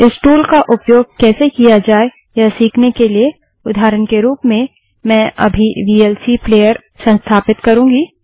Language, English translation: Hindi, To learn how to use this tool, I shall now install the vlc player as an example